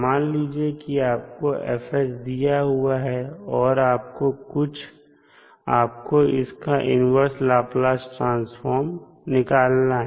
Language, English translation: Hindi, So, with this you can easily find out the inverse Laplace transform